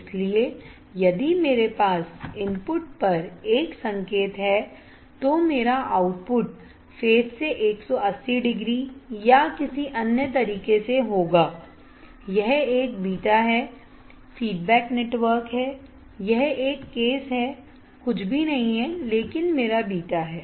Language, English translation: Hindi, So, if I have a signal at the input my output would be 180 degree out of phase and 180 degree out of phase or in another way if I because this circuit, this is a beta there is feedback network this is a case is nothing, but my beta